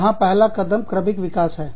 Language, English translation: Hindi, The first step here is, evolution